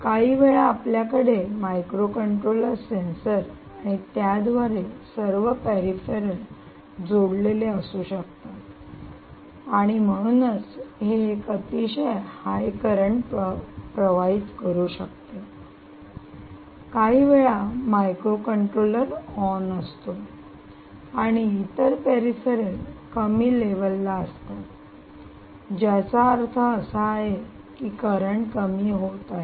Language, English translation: Marathi, sometimes you can have microcontroller, sensor and all peripherals connected to it and therefore it could be drawing a very high current, sometimes only the microcontroller maybe on, with all the other peripherals going down, which means the current could be going down